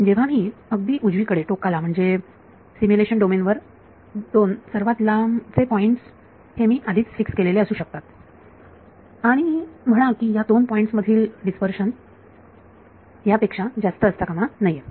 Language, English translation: Marathi, As I reach the rightmost like the two farthest points on the in the simulation domain I can fix before hand and say the dispersion form these two points should be no more than so much